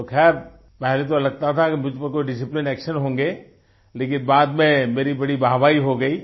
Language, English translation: Hindi, So, at first it seemed that there would be some disciplinary action against me, but later I garnered a lot of praise